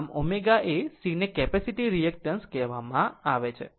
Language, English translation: Gujarati, Actually omega is C is called the capacitive reactance right